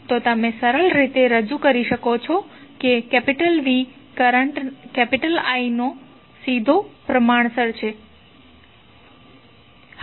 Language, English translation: Gujarati, So, you can simply represent that V is directly proportional to current I